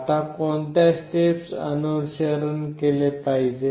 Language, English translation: Marathi, Now, what are the steps to be followed